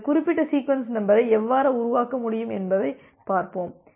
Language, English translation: Tamil, So, we will see that how we can generate this particular sequence number